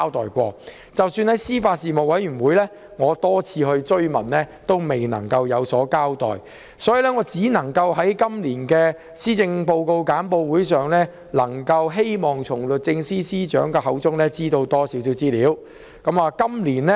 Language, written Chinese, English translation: Cantonese, 即使我在司法及法律事務委員會會議上多次追問，政府亦未有交代，我於是唯有寄望能在今年的施政報告簡報會上從律政司司長口中得悉更多資料。, Even though I have pursued time and again for more information at meetings of the Panel on Administration of Justice and Legal Services the Government has yet to give an account . Hence I could only hope to get more information from the Secretary for Justice at the briefing for this years Policy Address